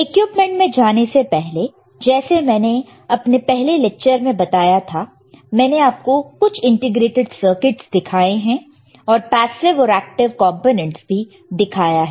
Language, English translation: Hindi, Now, before we go to the equipment, like I said in my first lecture, I have shown you few integrated circuits, isn't it